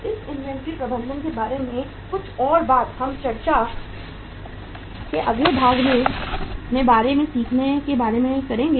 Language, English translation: Hindi, Some more thing about this inventory management we will be talking about and learning about in the next part of discussion